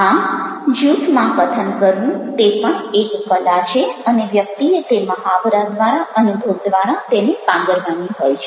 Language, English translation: Gujarati, so speaking in a group is also an art and one has to develop through practice, through experiences